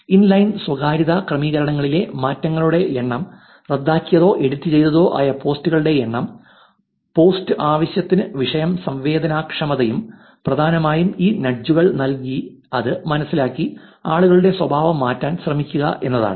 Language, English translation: Malayalam, Number of changes in inline privacy settings, number of canceled or edited posts, post frequency and topic sensitivity, essentially they were trying to understand by giving these nudges are people changing the behavior